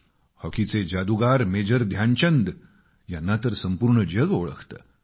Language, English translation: Marathi, Hockey maestro Major Dhyan Chand is a renowned name all over the world